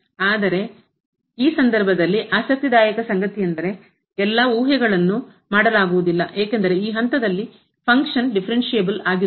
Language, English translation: Kannada, But, what is interesting in this case the all the hypothesis are not made because the function is not differentiable at this point